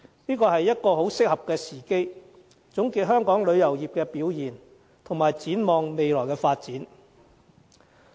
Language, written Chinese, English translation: Cantonese, 這是一個很適合的時機，總結香港旅遊業的表現，以及展望未來發展。, This is an opportune time to review the performance of the tourism industry of Hong Kong and anticipate its future development